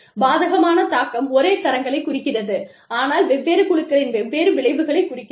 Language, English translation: Tamil, Adverse impact indicates, same standards, but different consequences, for different groups of people